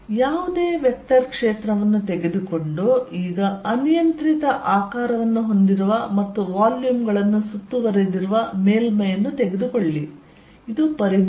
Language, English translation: Kannada, Take any vector field and now take a surface which is of arbitrary shape and encloses the volumes, this is the volume